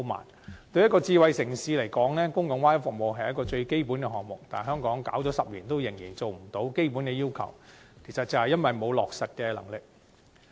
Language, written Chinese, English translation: Cantonese, 對於一個智慧城市來說，公共 Wi-Fi 服務是最基本項目，但香港推行了10年仍達不到基本要求，就是因為欠缺落實能力。, The provision of public Wi - Fi services is the most basic element of a smart city . Yet Hong Kong still fails to meet this basic requirement despite a decade of implementation all because we lack the capabilities of execution